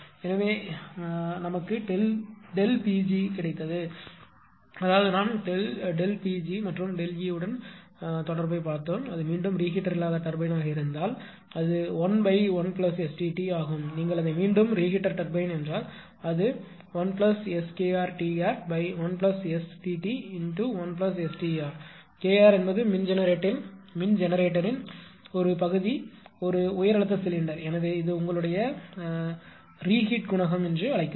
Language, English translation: Tamil, So, we got del that is delta p; that means, we related delta P g and delta E if it is a non reheat turbine it is 1 upon 1 1 plus ST t, if it is your what you call reheat turbine it is 1 plus SK r T r upon 1 plus ST t into 1 plus s T r K r is nothing, but the fraction of power generator in the high pressure cylinder right